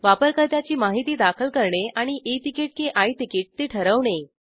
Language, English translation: Marathi, To enter user information and to decide E ticket or I ticket